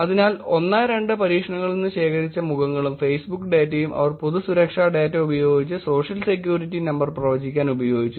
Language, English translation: Malayalam, So, they used the faces and the Facebook data that were collected from the experiment 1 and 2 with the public data to predict the Social Security Number